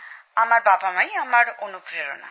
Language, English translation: Bengali, My parents are very encouraging